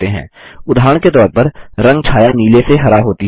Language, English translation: Hindi, For example, the color shade moves from blue to green